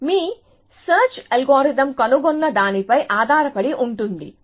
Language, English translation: Telugu, So, depends on what your search algorithm finds